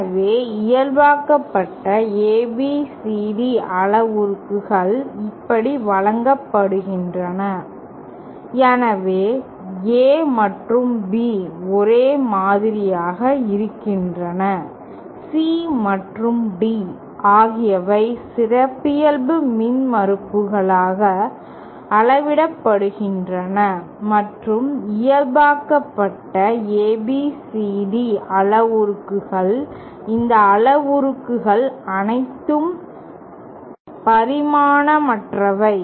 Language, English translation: Tamil, So, normalised ABCD parameters are given like this, so A and B remain the same, C and D are scaled by the characteristic impedances and all these parameters in the normalised ABCD parameters are dimensionless